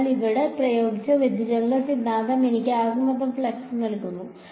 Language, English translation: Malayalam, So, the divergence theorem applied over here will give me what del dot f d s will give me the total flux